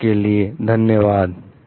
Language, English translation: Hindi, Till then thank you